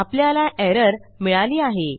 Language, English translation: Marathi, We have got an error